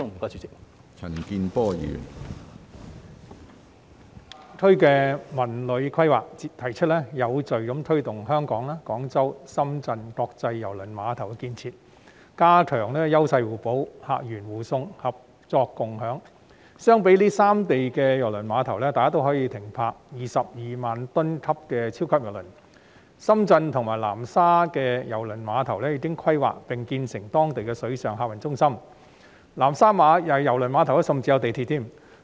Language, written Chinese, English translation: Cantonese, 大灣區的《文旅規劃》提出有序推動香港、廣州、深圳國際郵輪港建設、加強優勢互補、客源互送、合作共享，這三地的郵輪碼頭都可以停泊22萬噸級的超級郵輪，深圳和南沙的郵輪碼頭已經規劃並建成當地的水上客運中心，南沙郵輪碼頭甚至有地鐵。, The CTD Plan for GBA proposes to progressively promote the development of international cruise terminals in Hong Kong Guangzhou and Shenzhen enhance complementarity of each others strengths promote sharing of sources of tourists as well as strengthen collaboration . The cruise terminals in these three places allow 220 000 - ton mega cruise ships to be berthed; the cruise terminals in Shenzhen and Nansha have already been planned and built as local water passenger hubs; and the cruise terminal in Nansha is even served by railways